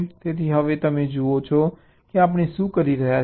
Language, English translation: Gujarati, so now you see what are doing